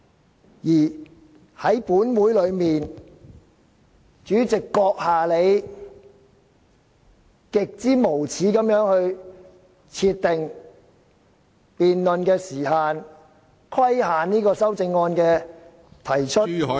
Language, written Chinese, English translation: Cantonese, 另一方面，本會的主席閣下你極之無耻地設定辯論時限，規限修正案的提出......, On the other hand you President of this Council have most shamelessly set time limits for the debate imposing restrictions on the amendments proposed